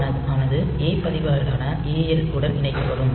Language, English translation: Tamil, So, R 0 will be anded with AL with a register